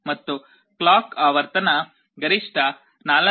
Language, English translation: Kannada, And the frequency of the clock was maximum 4